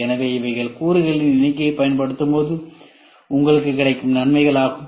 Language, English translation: Tamil, So, these are the benefits you get if you try to minimize the number of components